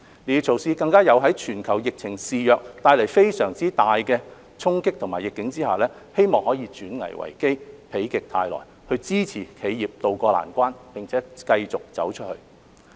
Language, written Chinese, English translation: Cantonese, 這些措施更在全球疫情肆虐、帶來非常大的衝擊和逆境之下，希望可以轉危為機，否極泰來，支持企業渡過難關，並且繼續"走出去"。, It is hoped that these measures can turn risks into opportunities facilitate a rebound and help enterprises tide over the difficult time and continue to go global amid the rampant global epidemic which has brought tremendous blows and adversities